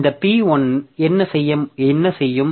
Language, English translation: Tamil, So, what this P1 will do